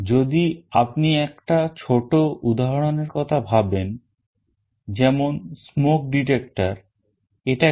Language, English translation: Bengali, If you think of a small example, let us say a smoke detector, what is it